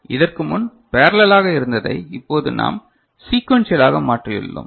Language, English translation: Tamil, So, what was parallel before now we have made sequential